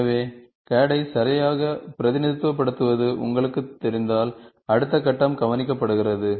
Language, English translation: Tamil, So, if you know to represent CAD properly, then the next step is taken care